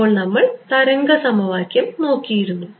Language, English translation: Malayalam, We had looked at the wave equation right